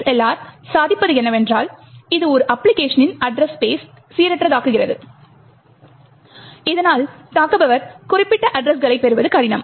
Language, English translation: Tamil, What the ASLR achieves is that it randomises the address space of an application, thereby making it difficult for the attacker to get specific addresses